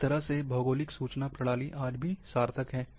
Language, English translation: Hindi, Geographic Information System in that way, is still meaningful